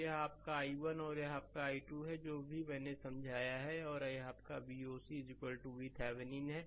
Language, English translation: Hindi, So this is your i 1 and this is your i 2, whatever I have explained and this is your V oc is equal to V Thevenin right